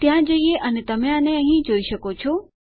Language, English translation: Gujarati, Lets go there and you can see it here